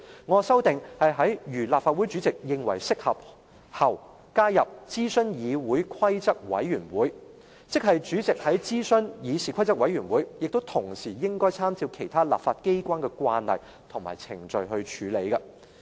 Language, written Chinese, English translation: Cantonese, "我的修訂是在"如立法會主席認為適合，可"後，加入"諮詢議事規則委員會及"，即主席要諮詢議事規則委員會，同時亦應參照其他立法機關的慣例及程序處理。, My amendment proposes to add consult the Committee on Rules of Procedure and after if he thinks fit―meaning that the President has to consult the Committee on Rules of Procedure CRoP and refer to the practice and procedure of other legislatures